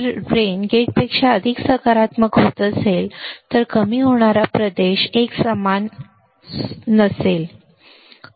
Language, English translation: Marathi, If drain is becoming more positive than gate, then depletion region will not be uniform easy very easy right